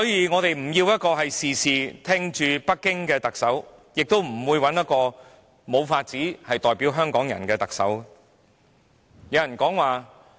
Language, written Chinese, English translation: Cantonese, 我們不要一個事事聽命於北京的特首，亦不想一個無法代表港人的人成為特首。, Neither do we want a Chief Executive who only listens to Beijing on everything nor a person who cannot represent Hong Kong people to become the Chief Executive